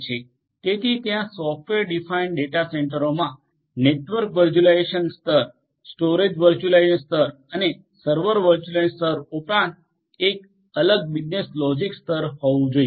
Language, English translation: Gujarati, So, there has to be a separate business logic layer, in addition to the network virtualization layer, the storage virtualization layer and the server virtualization layer in a software defined data centre